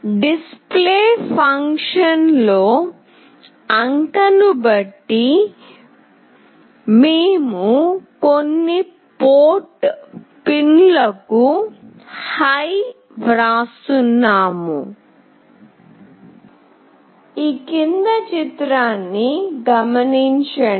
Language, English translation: Telugu, In Display function, depending on the digit, we are writing HIGH to some of the port pins